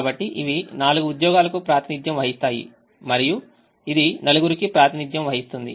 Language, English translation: Telugu, so these represent the four jobs and this represents the four people